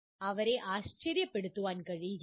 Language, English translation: Malayalam, It cannot be thrown at them as a surprise